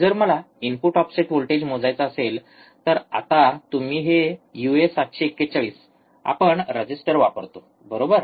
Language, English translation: Marathi, So, if I want to measure the input offset voltage, now you see here these are uA741, we have used resistors, right